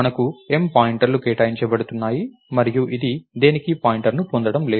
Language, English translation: Telugu, So, we have M pointers that are being allocated and this is not going to get pointer to anything